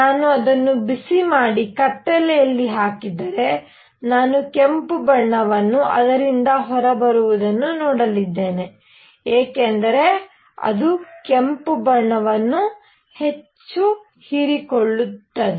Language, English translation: Kannada, If I heat it up and put it in the dark, I am going to see red color coming out of it because it absorbs red much more